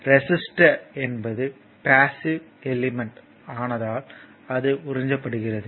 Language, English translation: Tamil, So, because it is a passive element it will absorbed power